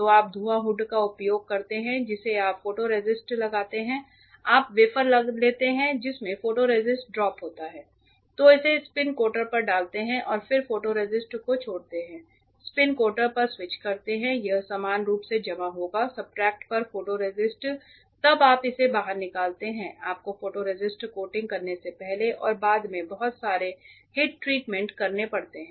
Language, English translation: Hindi, So, you use the fume hood you put the photoresist you take the wafer which is having the photoresist drop put it on the spin coater or you put it on the spin coater and then drop the photoresist, switch on the spin coater it will uniformly deposit the photoresist on the substrate then you take it out you have to do a lot of heat treatments before and after you do photoresist coating